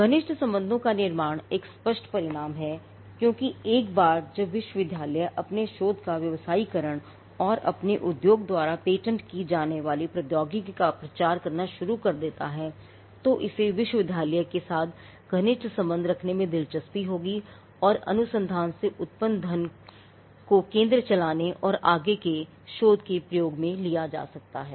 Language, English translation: Hindi, Building closer ties is an obvious outcome because once the university starts commercializing its research and publicizing the technology that is patented by its industry would be interested in having closer ties with the university and the money that is generated from research can be pulled back into running the centre and also in into further research